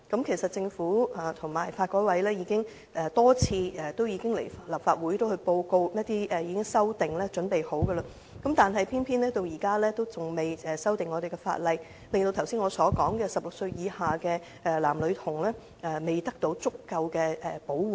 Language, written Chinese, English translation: Cantonese, 其實政府和法律改革委員會已多次向立法會報告有關修訂已準備就緒，但偏偏現在仍未修例，令我剛才提到16歲以下的男女童未獲足夠的保護。, In fact the Government and the Law Reform Commission have reported to the Legislative Council a number of times that the relevant amendments are ready . But to date the legislative amendments are still not made . Consequently boys and girls under the age of 16 as mentioned by me just now cannot receive sufficient protection